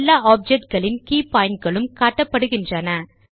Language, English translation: Tamil, All key points of all objects also appear